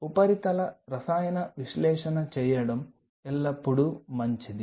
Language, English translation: Telugu, It is always a good idea to do a surface chemical analysis